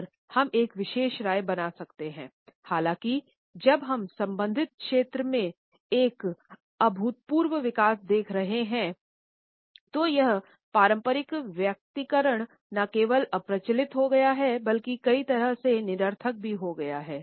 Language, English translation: Hindi, However, once the technology started to develop and with the presence of artificial intelligence, when we are looking at an unprecedented development in related fields this conventional personalization has become not only obsolete, but also in many ways redundant